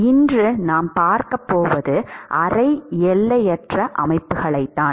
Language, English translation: Tamil, All right so, what we are going to see today is semi infinite systems